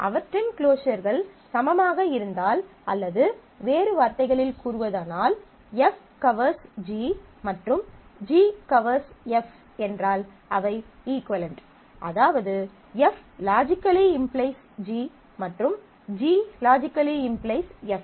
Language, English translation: Tamil, They are equivalent if their closures are equal or in other words, if F covers G and G covers F, that is F logically implies G and G logically implies F